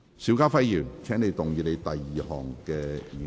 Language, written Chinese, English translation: Cantonese, 邵家輝議員，請動議你的第二項議案。, Mr SHIU Ka - fai you may move your second motion